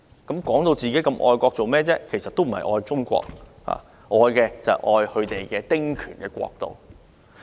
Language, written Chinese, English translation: Cantonese, 他們自稱很愛國，其實不是愛中國，愛的是他們的"丁權國度"。, They claim themselves as very patriotic but in fact they love their dominion of small house rights instead of China